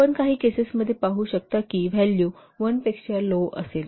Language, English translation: Marathi, And you can see in some cases the value will be less than one